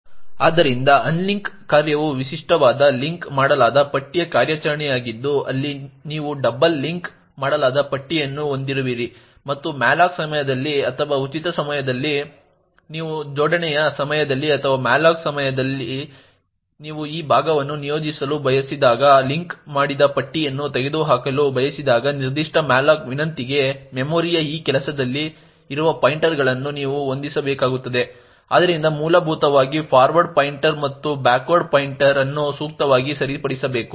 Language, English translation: Kannada, list type of operation where do you have a double linked list and during the malloc or during the free when you want to remove a linked list during coalescing or during malloc when you actually want to allocate this chunk of memory to a particular malloc request you will have to adjust the pointers present in this job, so essentially the forward pointer and the backward pointer should be appropriately corrected